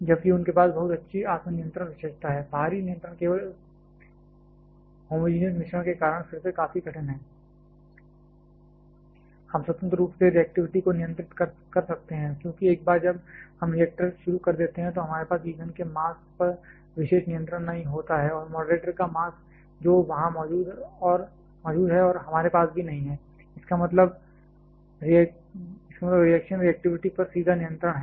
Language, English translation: Hindi, While they have very good self controlling feature the external control is quite difficult again because of that homogenous mixing only, we cannot independently control the reactivity yes, because once we get the reactor started we do not have exclusive control on the mass of fuel and the mass of moderator that is present there and also we do not have, means direct control on the reactivity